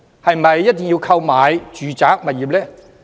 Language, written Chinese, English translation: Cantonese, 是否一定要購買住宅物業？, Are they required to be residential properties?